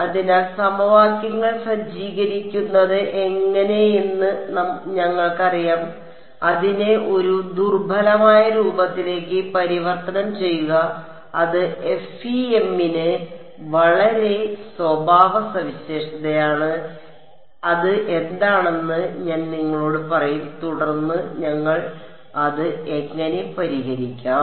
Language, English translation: Malayalam, So, we will work through how do we you know setup the equations, convert it into something called a weak form, which is very characteristic to FEM, I will tell you what that is and then how do we solve it ok